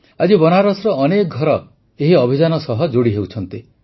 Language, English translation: Odia, Today many homes inBenaras are joining this campaign